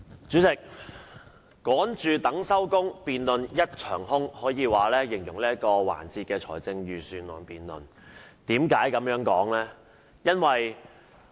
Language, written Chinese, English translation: Cantonese, 主席，"趕住等收工，辯論一場空"可謂最能形容這一節財政預算案辯論，為何我這樣說呢？, Chairman complete failure is a most apt description of this Budget debate session as this Council is in a great hurry to call it a day . Why did I say so?